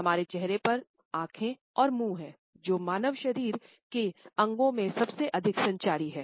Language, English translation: Hindi, Our face has eyes and mouth, which are the most communicative organs in our human body